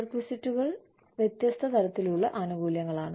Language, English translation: Malayalam, Perquisites are different types of perks